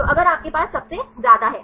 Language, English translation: Hindi, So, if you have the highest one